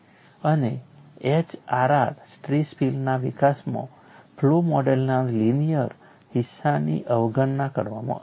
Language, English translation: Gujarati, In the development of HRR stress field concept the linear portion of the flow model is conveniently ignored